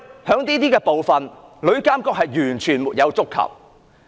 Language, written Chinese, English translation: Cantonese, 在這些方面，旅監局的職能完全沒有觸及。, The Bill has not addressed these problems at all in stipulating the functions of TIA